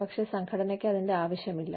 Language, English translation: Malayalam, But, the organization, does not need it